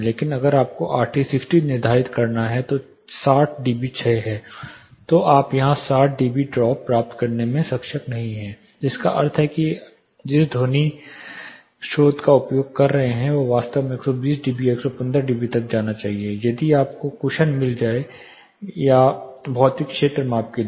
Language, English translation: Hindi, But if you have to determine RT 60 that is 60 db decay you are not able to get 60 db drop here, which means the sound source which we were using should actually go to 120 db or 115 db so that you get cushion for a physical field measurement